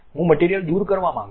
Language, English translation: Gujarati, I want to remove the material